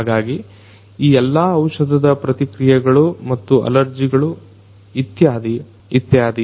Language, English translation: Kannada, So, all of these drug reactions and allergies etc